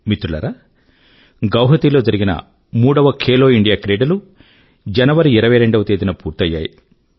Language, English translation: Telugu, Friends, on 22nd January, the third 'Khelo India Games' concluded in Guwahati